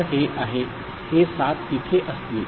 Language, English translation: Marathi, So, this is the this seven will be there right